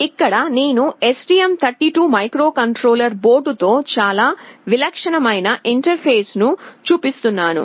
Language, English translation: Telugu, Here I am showing a very typical interface with the STM32 microcontroller board